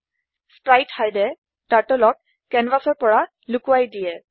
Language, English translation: Assamese, spritehide hides Turtle from canvas